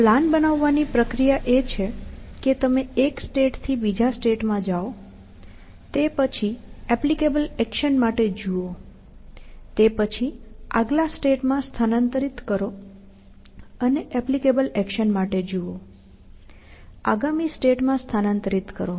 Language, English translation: Gujarati, So, the process of building the plan is that you move from one state to the next, and then, look for an applicable action; then, move to the next state, and look for an applicable action; move to the next state